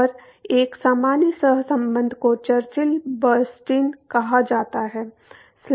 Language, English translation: Hindi, And, a general correlation is called the Churchill Bernstein